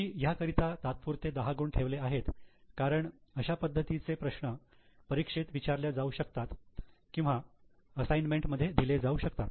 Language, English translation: Marathi, 10 marks have given tentatively because similar questions can be asked in the exam or in the assignment